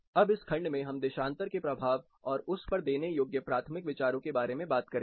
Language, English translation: Hindi, Now, in this section we will talk about the impact of longitude and primary considerations which we have to give